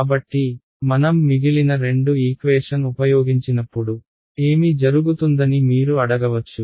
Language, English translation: Telugu, So, you can ask what happens when I use the remaining 2 equations right